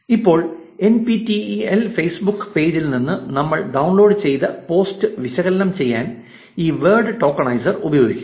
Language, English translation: Malayalam, Now, we will use this word tokenizer to analyze the post that we downloaded from the NPTEL Facebook page